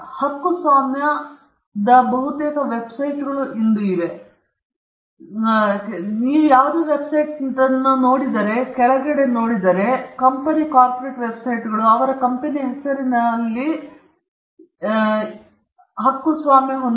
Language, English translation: Kannada, C copyright almost most websites today have it, if you go to the bottom, privately held websites, company corporate websites they will say copyright from this year to year in the name of the company